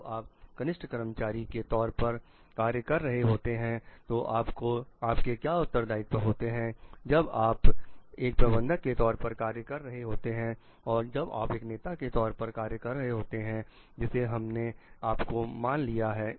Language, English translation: Hindi, So, what are your responsibilities when you are working as a junior employee when you are working as a manager and when you are as working as leader also we have considered like whether you